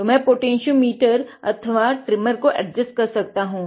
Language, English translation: Hindi, So, I can just adjust a potentiometer or the trimmer